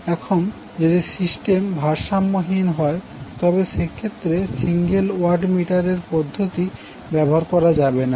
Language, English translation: Bengali, Now if the system is unbalanced, in that case the single watt meter method cannot be utilized